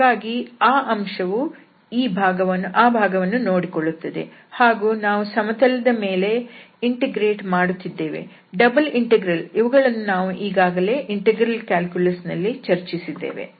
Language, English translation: Kannada, So, that factor will take care that part and then we are simply integrating over the plane, double integral which was already discussed in the integral calculus